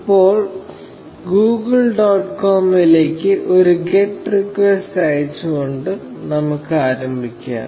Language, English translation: Malayalam, Now, let us start by a sending a get request to Google dot com